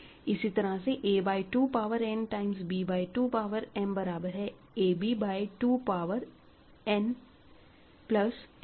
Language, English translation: Hindi, Similarly, a by 2 power n times b by 2 power m will be a b by power 2 power n plus m